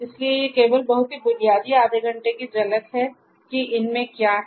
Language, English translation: Hindi, So, these are the only very basic half an hour kind of glimpse of what is there